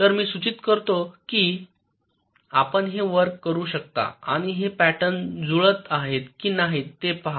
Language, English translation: Marathi, so so i suggest that you can work, work this out and see whether this patterns are matching